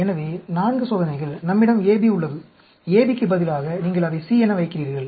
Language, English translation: Tamil, So, 4 experiments, we have the AB; instead of AB you put it as C